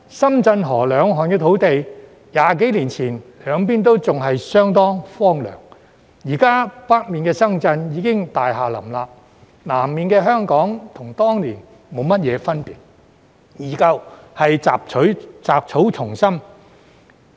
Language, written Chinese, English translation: Cantonese, 深圳河兩岸土地 ，20 多年前兩邊都相當荒涼，現時北面的深圳已經大廈林立，南面的香港與當年沒有大分別，仍然是雜草叢生。, Some 20 years ago the land on both sides of the Shenzhen River was very desolate . Nowadays Shenzhen in the north is already packed with buildings while Hong Kong in the south is not very different from that in those days and is still overgrown with weeds